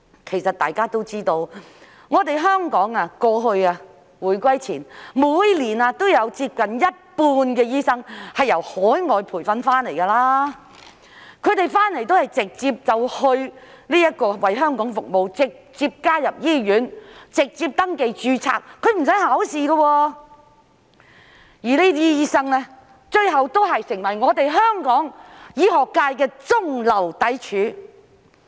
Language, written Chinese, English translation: Cantonese, 其實大家都知道，香港回歸前每年有接近一半醫生是由海外培訓回流，他們回來都是直接為香港服務、直接加入醫院、直接登記註冊，是不需要考試的，而這些醫生最後亦成為香港醫學界的中流砥柱。, They returned from abroad to serve Hong Kong directly join hospitals directly and register directly without taking any examination . What is more these doctors have eventually formed the backbone of Hong Kongs medical sector . In brief Dr Margaret CHAN the former Director - General of the World Health Organization is an OTD from Canada